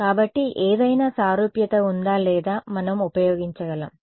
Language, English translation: Telugu, So, is there a similarity or something that we can use ok